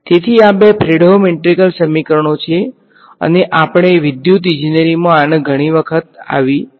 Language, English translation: Gujarati, So, these two are Fredholm integral equations and we electrical engineering comes up across these many many times